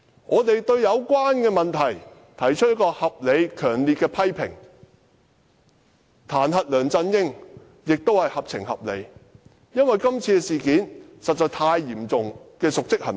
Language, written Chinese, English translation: Cantonese, 面對有關問題，我們提出合理和強烈的批評，而彈劾梁振英亦屬合情合理，因為這次事件涉及極為嚴重的瀆職行為。, As far as this matter is concerned we have made fair and severe criticisms . It is also reasonable and justifiable for us to impeach LEUNG Chun - ying because his acts involve a serious dereliction of duty